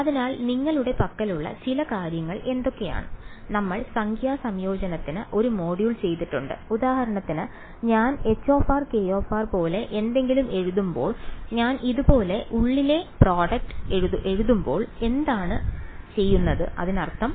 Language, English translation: Malayalam, So, what are the some of the things you have we have done one module on numerical integration right so for example, when I write something like h of r comma k of r when I write the inner product like this, what does that mean